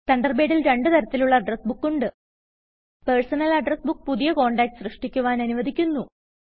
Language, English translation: Malayalam, There are two types of Address Books in Thunderbird: Personal address book allows you to create new contacts